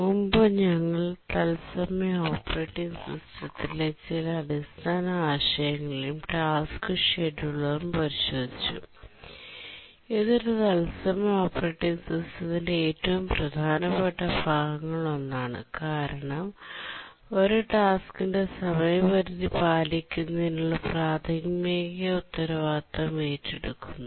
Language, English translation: Malayalam, So, so far we had looked at some basic concepts in real time operating systems and then we had said that the scheduler, task scheduler is actually the most important part of any real time operating system because it is the one which takes the primary responsibility in meeting a task's deadline